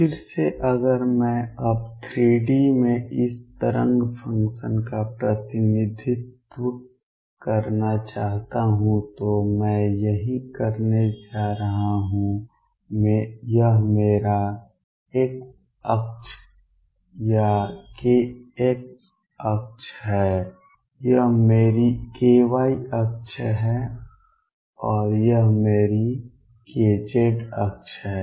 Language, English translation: Hindi, Again if I want to now represent this wave function in 3 d this is what I am going to do this is my x axis or k x axis, this is my k y axis and this is my k z axis